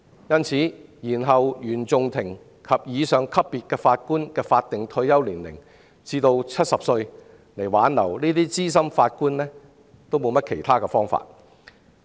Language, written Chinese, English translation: Cantonese, 因此，延後原訟法庭及以上級別法官的法定退休年齡至70歲，以挽留這些資深法官是別無他法。, Extending the statutory retirement ages of Judges at the CFI level and above to 70 is thus the only way to retain senior Judges